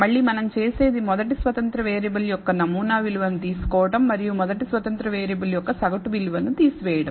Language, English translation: Telugu, Again what we do is take the sample value of the first independent variable and subtract the mean value of the first independent variable